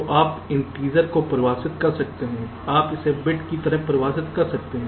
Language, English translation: Hindi, you can define a variable, right, so you can define the integer